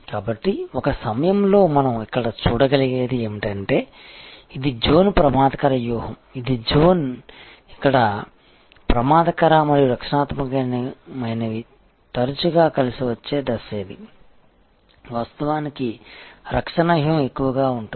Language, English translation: Telugu, So, at a time, what we can see here that this is the zone offensive strategy this is the zone, where offensive and defensive often may come together this is the stage, where actually defensive strategy is more prevalent